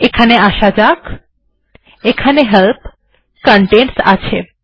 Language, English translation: Bengali, What I mean is lets come here, there is Help, Contents